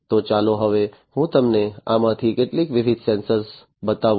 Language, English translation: Gujarati, So, let me now show you some of these different sensors